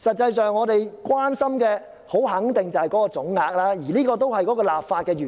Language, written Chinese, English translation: Cantonese, 可是，我們所關心的肯定是總額，而這也是立法的原意。, Yet we are definitely concerned about the total amount involved which is the legislative intent